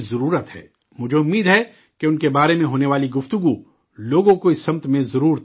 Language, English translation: Urdu, I hope that the discussion about them will definitely inspire people in this direction